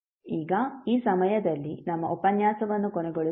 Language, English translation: Kannada, So now let us close our session at this point of time